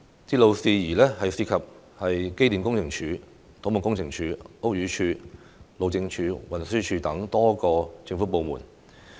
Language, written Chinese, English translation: Cantonese, 鐵路事宜涉及機電工程署、土木工程拓展署、屋宇署、路政署和運輸署等多個政府部門。, Railway matters involve a number of government departments such as the Electrical and Mechanical Services Department Civil Engineering and Development Department Buildings Department Highways Department and Transport Department